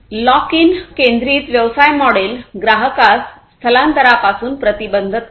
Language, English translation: Marathi, Lock in centric business model prevents the customer from migration